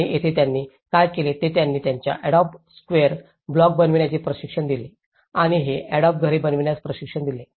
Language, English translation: Marathi, And here, what they did was they tried to train them making adobe square blocks and train them in making this adobe houses